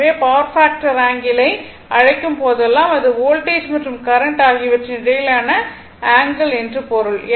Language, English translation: Tamil, So, because the your what you call whenever you call power factor angle means it is the angle between the voltage and the current right